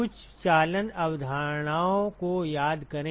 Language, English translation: Hindi, Recall some of the conduction concepts